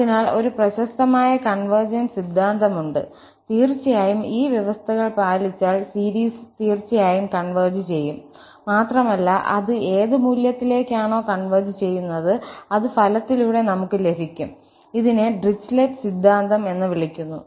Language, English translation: Malayalam, So, there is a famous convergence theorem and these are indeed the sufficient conditions that means if these conditions are met, the series will definitely converge and to what value it will converge, that we will see in this result and this is called Dirichlet’s theorem